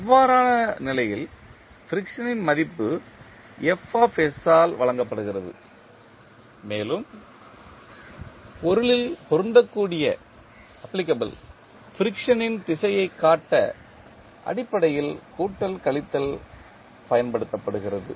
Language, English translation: Tamil, In that case the value of friction is given by Fs, plus minus is basically used to show the direction of the friction which will be applicable in the body